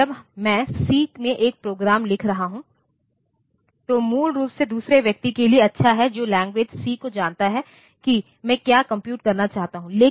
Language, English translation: Hindi, So, when I am writing a program in C that is basically good for another person who knows the language C to understand what I want to compute